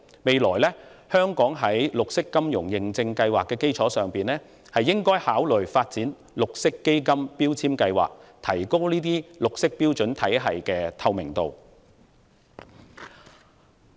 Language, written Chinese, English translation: Cantonese, 將來，香港應在綠色金融認證計劃的基礎上，考慮發展綠色基金標籤計劃，以提高綠色標準體系的透明度。, In the future we should consider establishing a green fund labelling scheme on top of the Green Finance Certification Scheme with a view to enhancing the transparency of the green standards system